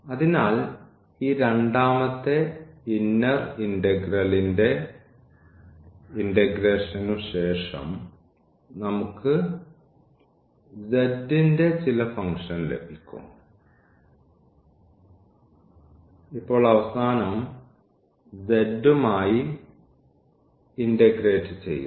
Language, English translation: Malayalam, So, after the integration of this second inner integral, we will get a some function of z and now at the end we will integrate this x z with respect to z